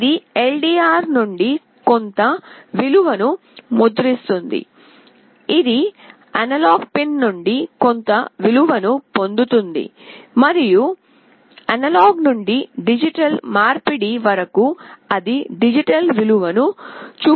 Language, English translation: Telugu, This is printing some value from LDR; it is getting some value from the analog pin, and after analog to digital conversion it is showing the digital value